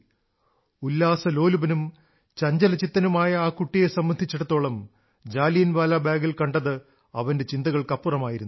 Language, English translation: Malayalam, A happy and agile boy but what he saw at Jallianwala Bagh was beyond his imagination